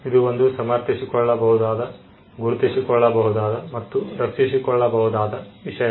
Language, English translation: Kannada, It is something that can be justified, that can be recognized, and that can be protected